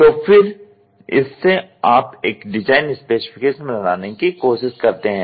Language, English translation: Hindi, So, then from that you try to make a design specification